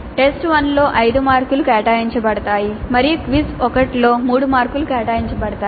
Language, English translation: Telugu, In test one five marks are allocated and in quiz 1 3 marks are allocated